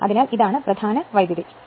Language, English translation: Malayalam, So, this is main current